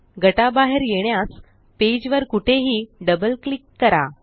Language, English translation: Marathi, To exit the group, double click anywhere on the page